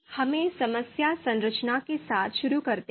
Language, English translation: Hindi, So let us start with problem structuring, the first step